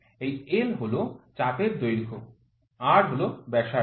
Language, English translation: Bengali, This l is arc length, R is the radius